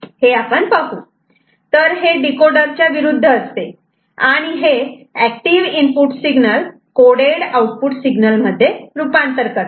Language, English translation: Marathi, It is just opposite to decoder and encoder converts and active input signal to a coded output signal; coded output signal